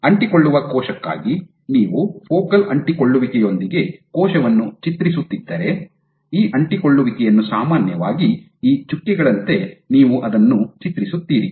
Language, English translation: Kannada, So, if you draw of cell with the focal adhesion, for an adherent and cell, you would draw it typically by depicting these adhesions like these dots